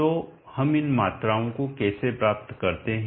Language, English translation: Hindi, So how do we obtain these quantities